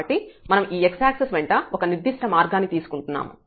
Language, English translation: Telugu, So, we are taking a particular path along this x axis